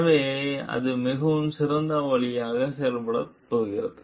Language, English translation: Tamil, So, that is how it is going to act in a much better way